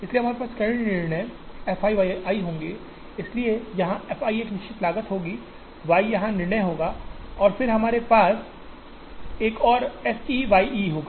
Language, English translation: Hindi, So, we will have multiple decisions f i y i, so f i would be a fixed cost here, y i will be the decision here and then we also have another one f e y e